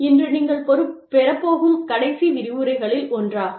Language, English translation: Tamil, Today, in this, this is one of the last lectures, that you will have